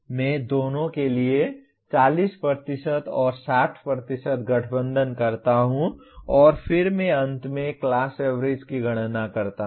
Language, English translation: Hindi, I combine 40% and 60% for both and then I compute the finally class average